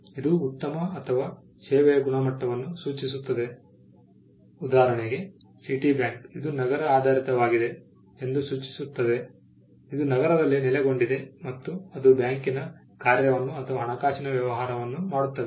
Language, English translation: Kannada, It can suggest the quality of a good or a service; for instance, Citibank it suggests that it is city based it is based in a city and it does the function of a bank